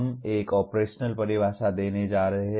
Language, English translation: Hindi, We are going to give an operational definition